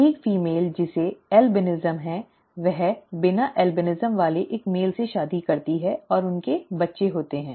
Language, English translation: Hindi, A female who has albinism marries a male without albinism and they have children